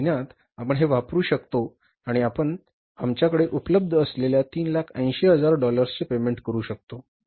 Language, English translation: Marathi, This month you can use 300 and you can make the payments worth of $380,000 which is available with us